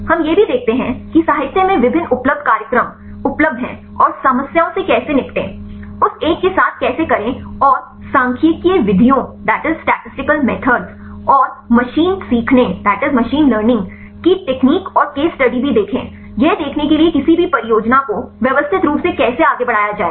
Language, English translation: Hindi, And also we see the what are the various commonly available program available problems in the literature and how to deal with the problems, how to do with that one and also see the statistical methods and machine learning techniques and case studies; to see how to systematically carry out in any project